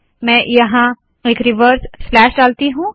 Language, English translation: Hindi, Let me put a reverse slash here